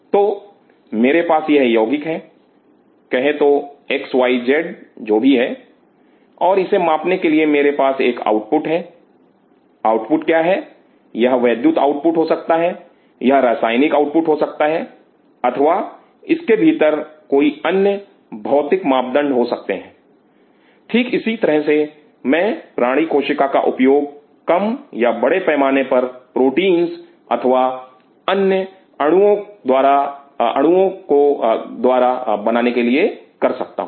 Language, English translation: Hindi, So, I have this compound say x y z whatever, and I have an output here to measure; what is the output that could be electrical output, it could be chemical output or it could be some other physical parameters within it, similarly I can use animal cells for reducing or mass producing proteins or other by molecules